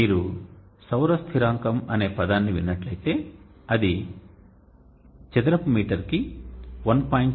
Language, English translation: Telugu, So if you hear the term solar constant it means it is 1